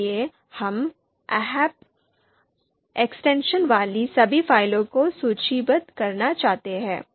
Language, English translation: Hindi, So we want to list all the files you know all the files with dot ahp extension